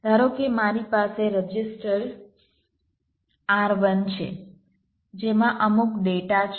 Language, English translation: Gujarati, suppose i have a register r, one which hold some data